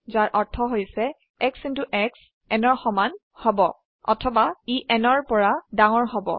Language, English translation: Assamese, Which means either x into x must be equal to n